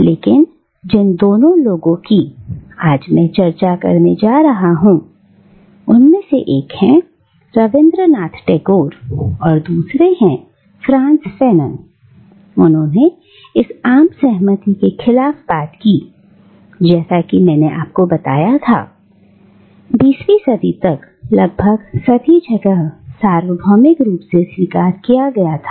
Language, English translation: Hindi, But these two people, that I am going to discuss today, one is Rabindranath Tagore and the other is Frantz Fanon, they spoke against this general consensus which, as I told you, was almost universally accepted by the 20th century